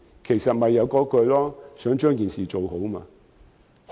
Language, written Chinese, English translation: Cantonese, 其實，我也是想把事情做好。, In fact I only want to get the job done